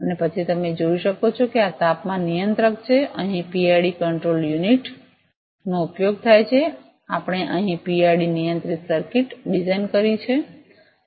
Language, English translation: Gujarati, And then you can see this is a temperature controller, here PID control unit is used, we have designed a PID controlled circuit here